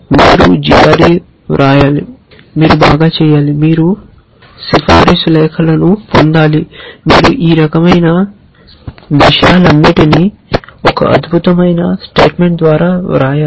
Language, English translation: Telugu, You need to write g r e, you need to do well, you need to get recommendation letters, you have to write a excellent statement of purpose all this kind of stuffs